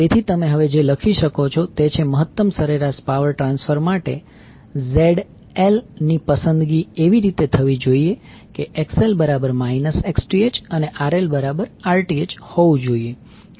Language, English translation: Gujarati, So, what you can write now that for maximum average power transfer ZL should be selected in such a way, that XL should be equal to the minus Xth and RL should be equal to Rth